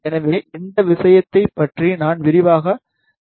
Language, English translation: Tamil, So, I will not talk more in detail about these things